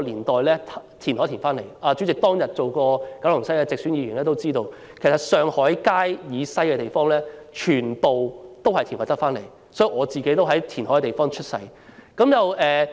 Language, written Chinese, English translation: Cantonese, 代理主席曾是九龍西選區的直選議員，諒必知道上海街以西的土地其實全是填海得來，所以我其實是在填海區出生的。, As a Member returned through direct election in the Kowloon West constituency Deputy President must be aware that all land in the west of Shanghai Street was actually created through reclamation and I was born in a reclamation area